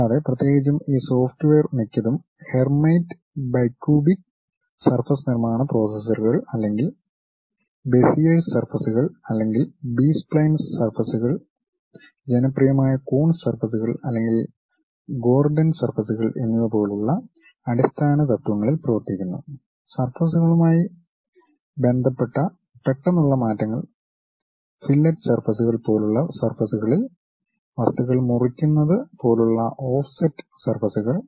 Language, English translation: Malayalam, And, especially most of these softwares work on basic principles like maybe going with hermite bicubic surface construction processors or Beziers surfaces or B spline surfaces something like, Coons surfaces which are popular or Gordon surfaces sudden sharp changes associated with surfaces, something like rounding of surfaces like fillet surfaces, something like chopping off these materials named offset surfaces